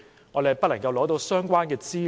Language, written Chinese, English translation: Cantonese, 是否不能取得相關的資料？, Is it true that there is no way to obtain the relevant information?